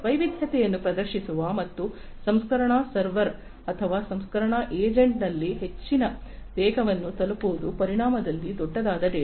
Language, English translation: Kannada, Data which is large in volume which exhibits variety and which arrives at high velocities at the processing server or processing agent